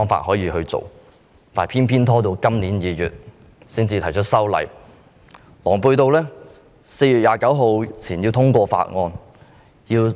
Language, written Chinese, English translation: Cantonese, 但是，當局偏偏拖延至今年2月才提出修例，並狼狽地表示要在4月29日前通過法案。, Yet the authorities have taken no action until February this year to propose the legislative amendment and they awkwardly said that the Bill should be passed before 29 April